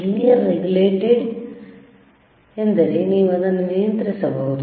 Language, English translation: Kannada, If you see the lLinear regulated means you can regulate it